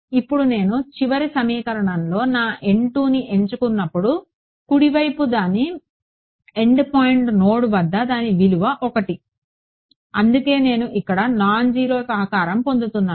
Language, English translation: Telugu, Now the right hand side when I choose my N 2 over here in the final equation its value at the end point end point node is 1, so that is why I get a non zero contribution over here